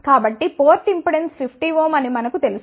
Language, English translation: Telugu, So, we know that port impedance is 50 ohm